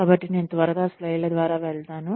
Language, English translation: Telugu, So, I will quickly go through the slides